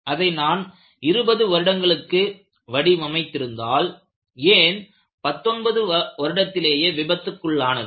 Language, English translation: Tamil, WhenI had designed it for 20 years, why it failed in 19 years